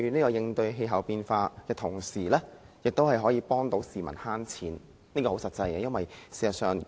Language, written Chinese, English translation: Cantonese, 在應對氣候變化的同時，亦有助市民節省金錢，這方面很實際。, Apart from tackling climate change the initiatives will also help people save money which is very practical